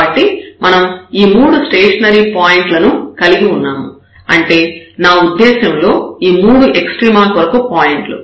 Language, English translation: Telugu, So, we have these 3 stationary points I mean these 3 candidates for extrema